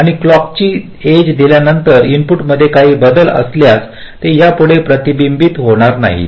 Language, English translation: Marathi, so, after the clock edge appears, if there are some changes in the inputs, that will no longer be reflected